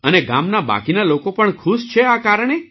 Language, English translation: Gujarati, And the rest of the people of the village are also happy because of this